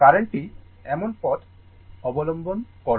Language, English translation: Bengali, The current will take path like this, right